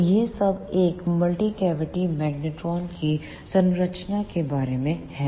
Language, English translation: Hindi, So, this is all about the structure of a multi cavity magnetron